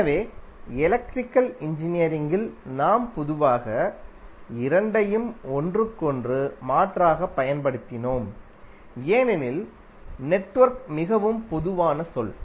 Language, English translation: Tamil, So in Electrical Engineering we generally used both of them interchangeably, because network is more generic terms